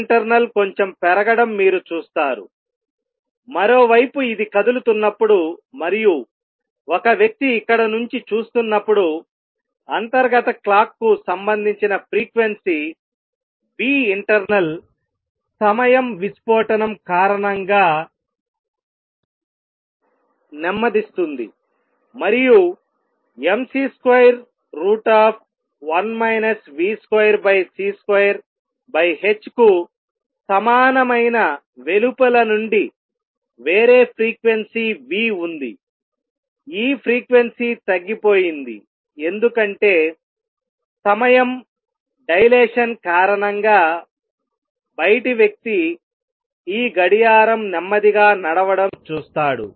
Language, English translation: Telugu, You see nu internal has gone up a bit, on the other hand when this is moving and a person is watching it from here the internal clock that had this frequency nu internal slows down due to time dilation, and there is a different frequency nu which is observed from outside which is going to be equal to nu equals mc square root of 1 minus v square over c square over h, this frequency has gone down because the time dilation outside person sees this clock running slow